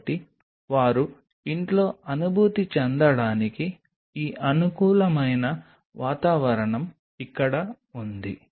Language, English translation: Telugu, so this conducive environment for them to feel at home is out here